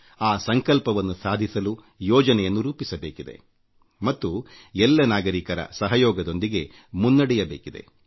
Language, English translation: Kannada, Plans should be drawn to achieve that pledge and taken forward with the cooperation of all citizens